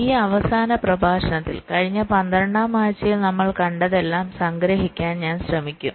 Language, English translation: Malayalam, so here in this last lecture i will try to summarize whatever we have seen over the last twelfth weeks